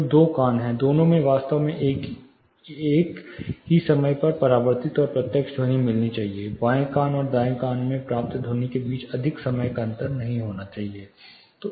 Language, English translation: Hindi, So, two years both of them should actually get the reflected, as well as direct sound more or less in the same time, there should not be much of the time difference between the sound received in the left ear and the right ear